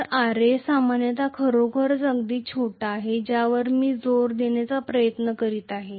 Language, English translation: Marathi, So, Ra is generally, really really small that is what I am trying to emphasise, right